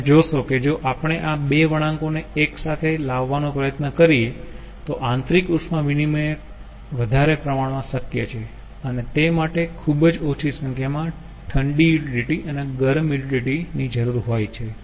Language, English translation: Gujarati, you see, if we try to bring these two curve close together, then more amount of internal heat exchange is possible and very less amount of um, cold utility and hot utility are needed